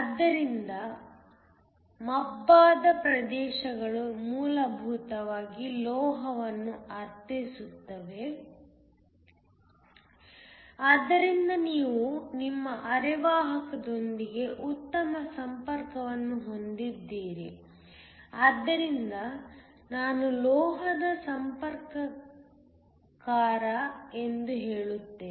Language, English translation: Kannada, So, The shaded regions essentially mean metal so that you have a good contact with your semiconductor, so I will just say a metal contactor